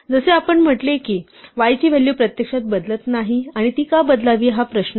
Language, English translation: Marathi, As saw the value of y actually did not change and the question is why it should change